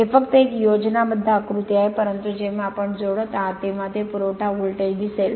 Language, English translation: Marathi, It is just a schematic diagram, but when you are connecting supply voltage we will see that right